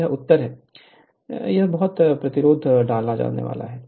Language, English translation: Hindi, So, this is the answer, this much resistance has to be inserted right